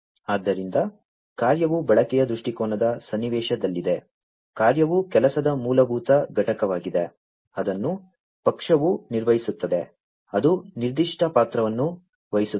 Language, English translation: Kannada, So, the task is in the context of usage viewpoint, the task is a basic unit of work, that is carried out by a party, that assumes a specific role